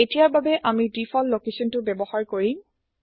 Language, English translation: Assamese, For now well use the default location